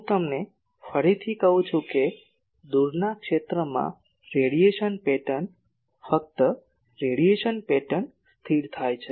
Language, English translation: Gujarati, I again tell you that radiation pattern in the far field only the radiation pattern get stable